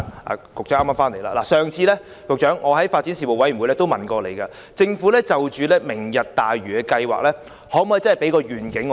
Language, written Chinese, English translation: Cantonese, 我上次曾在發展事務委員會會議上詢問局長，政府可否就"明日大嶼"計劃向我們提供願景？, Last time I asked the Secretary at the meeting of the Panel on Development whether the Government could give us a vision of the Lantau Tomorrow project